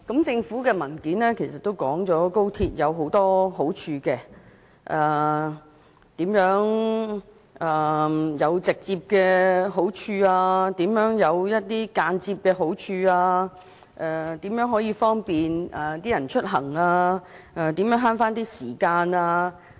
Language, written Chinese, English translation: Cantonese, 政府提交的文件已說明高鐵有很多好處，有直接也有間接的，包括更方便市民出行和節省時間等。, The paper provided by the Government lists out many benefits brought by XRL some direct and some indirect such as enhancing peoples mobility and saving time